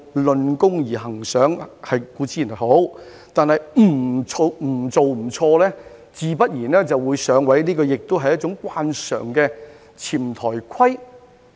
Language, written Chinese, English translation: Cantonese, 論功行賞固然好，但"不做不錯"自然會"上位"，也是一種慣常的"潛台規"。, While it is constructive to reward achievement it is also a common tacit rule that he who does nothing makes no mistakes and will be moved up the ranks